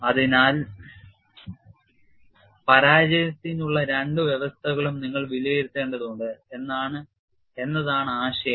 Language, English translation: Malayalam, So, the idea is, you have to assess both the conditions for failure